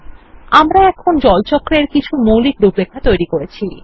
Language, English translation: Bengali, We have now created the basic outline of the Water Cycle